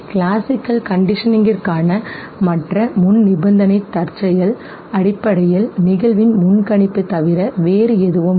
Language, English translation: Tamil, The other prerequisite for classical conditioning is the contingency okay, contingency basically nothing but the predictability of the occurrence okay